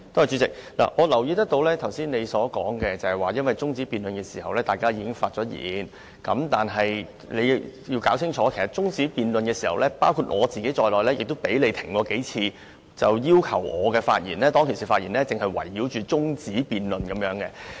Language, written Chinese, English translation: Cantonese, 主席，我留意到你剛才說在中止待續議案辯論時大家已經發言，但你要弄清楚，在中止待續議案辯論時發言的議員，包括我在內，也被你叫停數次，要求我們的發言只能圍繞中止待續議案。, President I noticed that you said earlier that Members had already spoken during the debate on the adjournment motion but you have to get this right because Members who spoke during the debate on the adjournment motion including myself had been stopped by you several times as you told us to only revolve around the adjournment motion in our speeches